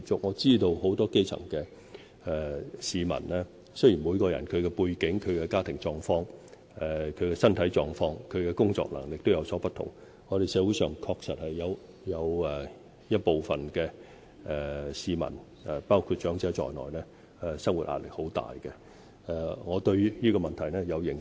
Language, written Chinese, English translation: Cantonese, 我知道很多基層市民，雖然每個人的背景、家庭狀況、身體狀況和工作能力各有不同，但我們社會上確實有一部分市民要面對很大的生活壓力，我對這個問題有認識。, I know many grass - roots people with different backgrounds family conditions physical conditions and working abilities . It is true that some people including elderly persons have to face great livelihood pressures . I am aware of this problem